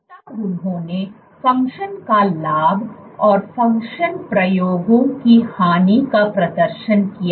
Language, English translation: Hindi, What they then did was performed gain of function and loss of function experiments